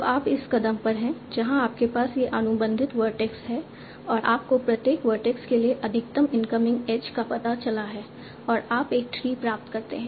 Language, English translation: Hindi, So you are at this step where you have this contacted vertex and you found out the maximum incoming edge for each vertex and you obtain a tree